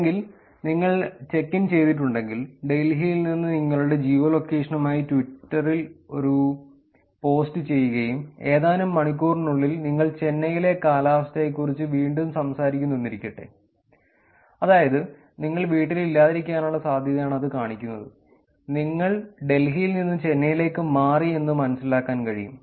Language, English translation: Malayalam, Or if you have checked in, if you have done a post in tweet with your geolocation on from Delhi and in another hour or so, you are talking about actually weather and couple of hours you are talking about weather in Chennai again, that is a probability that you are not at home, you moved from Delhi to Chennai